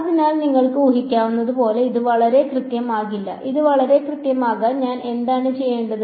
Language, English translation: Malayalam, So, as you can imagine this will not be very very accurate, to make it very accurate what do I need to do